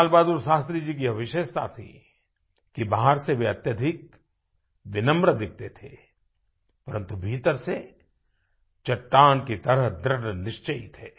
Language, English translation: Hindi, LalBahadurShastriji had a unique quality in that, he was very humble outwardly but he was rock solid from inside